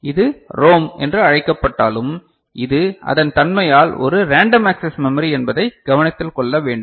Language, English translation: Tamil, And to be noted that though this called ROM it is also a random access memory by nature ok